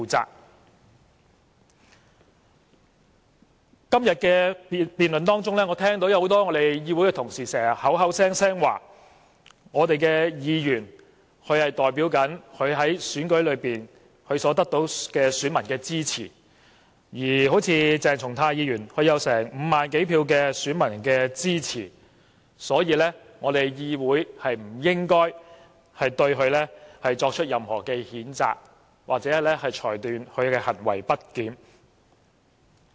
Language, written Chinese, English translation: Cantonese, 在今天的辯論中，我聽到很多同事口口聲聲說，議員代表選舉中支持他們的選民，正如鄭松泰議員得到5萬多名選民的支持，所以議會不應該對他作出任何譴責，或裁定他的行為不檢。, We ought to bear the responsibility for our actions in the Council . In the debate today I have heard the repeated claims by many Honourable colleagues that Members represent voters who lent them support in the election just as Dr CHENG Chung - tai has won the support of over 50 000 voters the Council should not impose any censure on him or rule that his conduct is misbehaviour